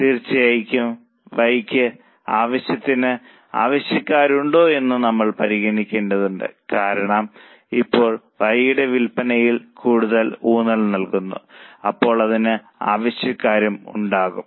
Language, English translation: Malayalam, Of course, we have to consider whether there is enough demand for Y because now we are zooming up the sales of Y, there should be demand for it